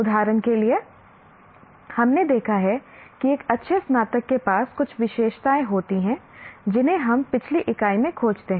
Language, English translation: Hindi, For example, we have seen a good graduate has certain characteristics which we kind of explored in the previous unit